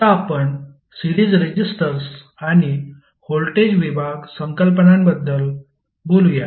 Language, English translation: Marathi, Now, let us talk about the series resistors and the voltage division concepts